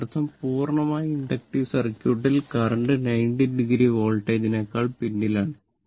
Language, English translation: Malayalam, So, that means, in a pure that what I told purely inductive circuit, current lags behind the voltage by 90 degree